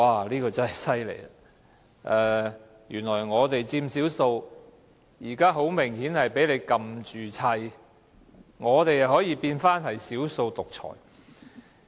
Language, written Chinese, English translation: Cantonese, 這說法真是厲害，我們佔少數，現在很明顯挨打，卻變成"少數獨裁"。, We are obviously the underdog here . But they now use the term dictatorship of the minority to describe us